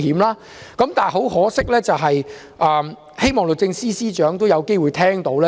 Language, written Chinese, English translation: Cantonese, 然而，很可惜，我希望律政司司長有機會聽到我的意見。, However it is a pity . I hope that the Secretary for Justice has the chance to listen to my views